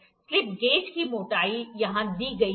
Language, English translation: Hindi, The height of the slip gauge is given here